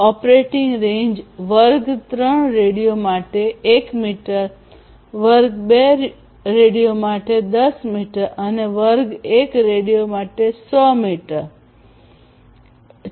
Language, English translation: Gujarati, And the operating range is 1 meter for class 3 radios, 10 meters for class 2 radios and 100 meters for class 1 radios